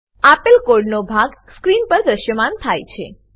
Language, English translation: Gujarati, Type the following piece of code as displayed on the screen